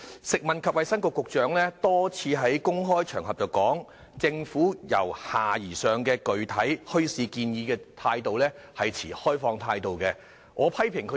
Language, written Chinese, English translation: Cantonese, 食物及衞生局局長曾多次在公開場合表示，政府對由下而上的具體墟市建議持開放態度。, The Secretary for Food and Health has repeatedly stated in public that the Government has an open attitude towards the bottom - up bazaar proposal